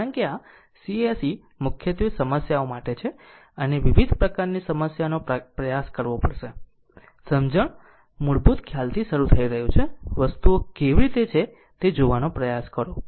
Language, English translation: Gujarati, Because this course is mainly for problems right and you have to you have to give you have to try different type of problems and understanding is starting from the basic concept, you try to see how things are right